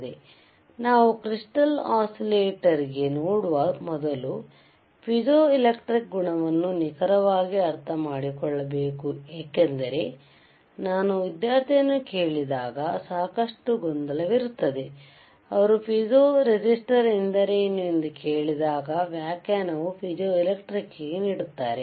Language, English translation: Kannada, So, you guys have to understand what exactly piezoelectric property means right and at the same time you also need to understand what is a piezo resistor property means because there is lot of confusion I have seen that, when I ask a student what do youthey mean by piezo resistor, to you the definition will be of piezoelectric